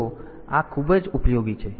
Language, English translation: Gujarati, So, this is very much useful